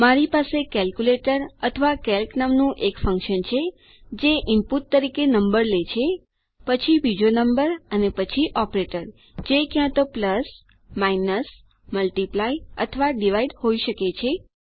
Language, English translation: Gujarati, I have got a function called calculator or calc for short, which takes a number as input, then a second number and then an operator which could be either plus minus multiply or divide